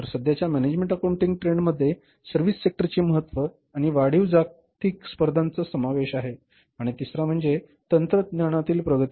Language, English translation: Marathi, So, the current management accounting trends include the importance of services sector and the increased global competition and third one is the advance, advances in technology